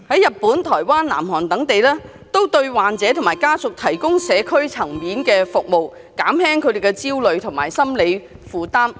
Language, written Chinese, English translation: Cantonese, 日本、台灣、南韓等地都對患者和家屬提供社區層面的服務，減輕他們的焦慮和心理負擔。, The governments in Japan Taiwan and South Korea provide community services for these patients and their families to alleviate their anxiety and psychological stress